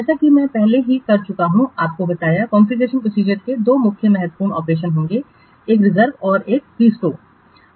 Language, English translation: Hindi, As I have already told you, there will be two main important operations in configuration process